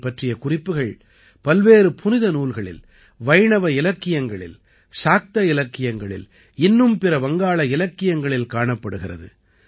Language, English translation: Tamil, It finds mention in various Mangalakavya, Vaishnava literature, Shakta literature and other Bangla literary works